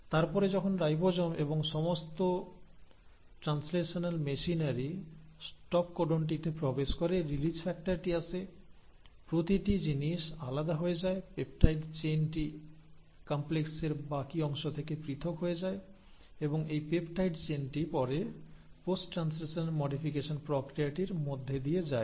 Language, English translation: Bengali, And then once the ribosome and the entire translational machinery bumps into a stop codon the release factor comes every things gets dissociated, the peptide chain gets separated from the rest of the complex and this peptide chain will then undergo the process of post translational modification